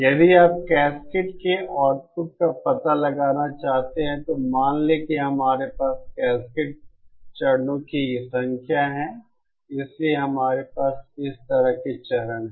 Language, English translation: Hindi, If you want to find out the output of a cascaded, then suppose we have number of stages cascaded, so we have stages like this